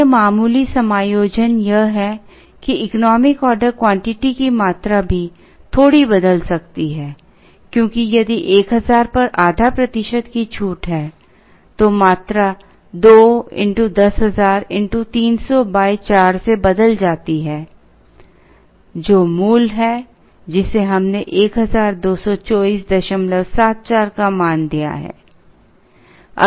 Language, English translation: Hindi, The other minor adjustment there is that the economic order quantity can also shift a little bit because if there is half a percent discount at 1000, then the quantity changes from 2 into 10000 into 300 divided by 4 which is the original one which gave us value of 1224